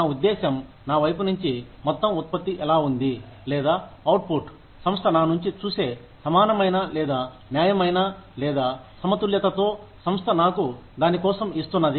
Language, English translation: Telugu, How I mean, is the amount of input, from my side, or, the output, that the organization sees from me, equal, or equitable, or fair, in terms of, or balanced with, what the organization is giving me, for it